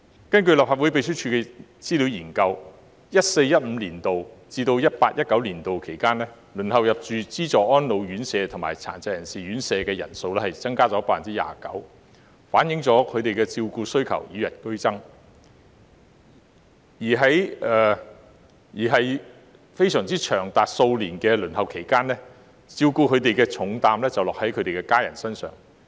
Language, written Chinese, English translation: Cantonese, 根據立法會秘書處的資料研究 ，2014-2015 年度至 2018-2019 年度期間，輪候入住資助安老院舍及殘疾人士院舍的人數增加 29%， 反映了他們的照顧需求與日俱增，而在長達數年的輪候期間，照顧他們的重擔便落在他們的家人身上。, According to the research publication prepared by the Legislative Council Secretariat from 2014 - 2015 to 2018 - 2019 there was a 29 % increase in the number of elderly and PWDs queuing for subsidized residential care which reflects a growing care need among these people . As the queuing time may be as long as several years a heavy burden of care will fall on their families during the period